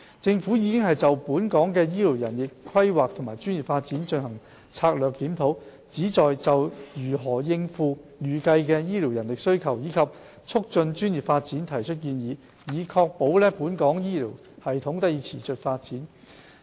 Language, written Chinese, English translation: Cantonese, 政府已就本港的醫療人力規劃和專業發展進行策略檢討，旨在就如何應付預計的醫療人力需求，以及促進專業發展提出建議，以確保本港醫療系統得以持續發展。, The Government has conducted a strategic review on health care manpower planning and professional development in Hong Kong the Review . The Review aims to formulate recommendations that will enable our society to meet the projected demand for health care manpower and foster professional development with a view to ensuring the sustainable development of our health care system